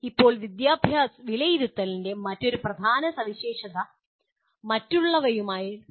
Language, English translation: Malayalam, Now, another important feature of assessment is the “alignment”